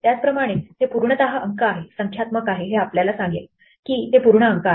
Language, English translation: Marathi, Similarly is it entirely digits, is numeric will tell us if it is entirely digits